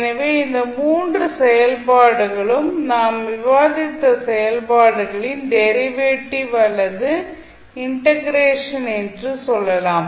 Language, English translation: Tamil, So, you can simply say that these 3 functions are either the derivative or integration of the functions which we discussed